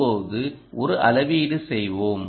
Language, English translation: Tamil, let us make a measurement